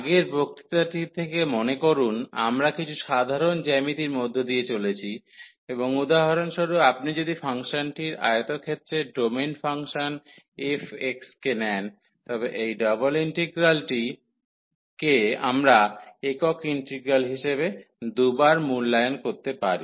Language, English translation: Bengali, So, just to recall from the previous lecture, we have gone through some simple geometry and for example, if you take the rectangular domain of the function f x then this integral the double integral, we can evaluate by repeating the single integrals 2 time